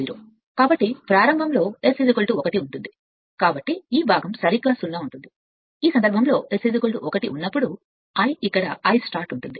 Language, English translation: Telugu, So, at start this load at start S is equal to 1, so this part will be 0 right in that case this is here where I starting when S is equal to 1